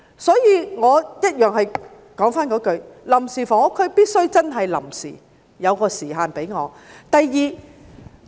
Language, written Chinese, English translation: Cantonese, 所以我重申，臨時房屋區必須真正臨時，設有時限。, I therefore reiterate that temporary housing areas must be really temporary with time limit being fixed